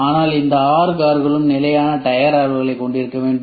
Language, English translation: Tamil, But all these six cars must have a standard tire dimensions